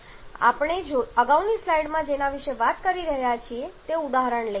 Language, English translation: Gujarati, Let us take the example that we are talking about in the previous slide